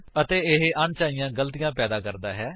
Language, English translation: Punjabi, And this gives unnecessary errors